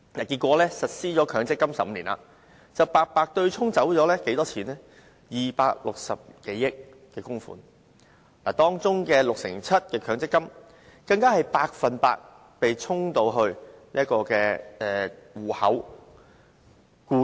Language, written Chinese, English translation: Cantonese, 結果強積金實施15年，白白對沖了260多億元供款，當中 67% 的強積金戶口，僱主供款全部被"沖"走。, As a result some 26 billion in contributions were offset for no sound reason in the course of the 15 years since the implementation of MPF . Of all MPF accounts the employers contributions in 67 % of them were completely offset